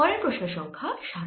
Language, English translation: Bengali, next question, number seven